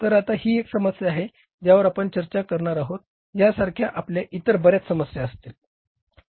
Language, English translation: Marathi, So, now this is the one problem which we will discuss like this we will have so many other problems also